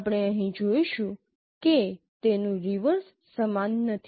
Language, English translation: Gujarati, We will see here the reverse is not the same